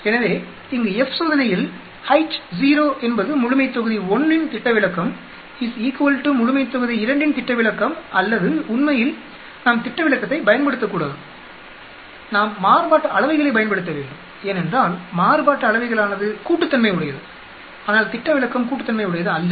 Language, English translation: Tamil, So by H0 here in F test is standard deviation of population 1 is equal to the standard deviation of population 2 or actually, we should not use standard deviation, we should use variances because variances are additive, whereas standard deviations are not additive